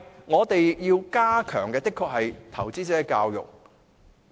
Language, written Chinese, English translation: Cantonese, 我們要加強的是投資者教育。, We must still step up investor education in the meantime